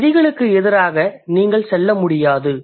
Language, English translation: Tamil, And you can't go against or against those rules